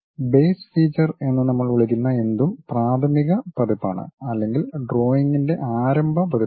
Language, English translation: Malayalam, Anything what we call base feature is the preliminary version or the starting version of the drawing